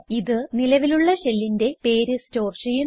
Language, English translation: Malayalam, It stores the name of the current shell